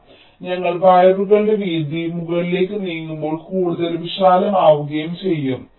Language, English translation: Malayalam, so as we move up, the width of the wires also will be getting wider and wider